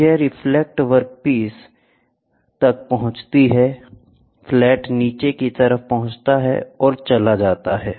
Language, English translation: Hindi, So, this reflects at a, this reflects reaches the workpiece, reaches the flat bottom side and goes